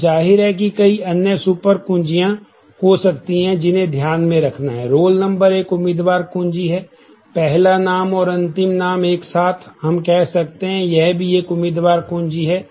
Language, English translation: Hindi, Now, there are of course, that could be several other super keys that has to be kept in mind, the candidate keys are roll number is a candidate key, the first name last name together, we can say is a candidate key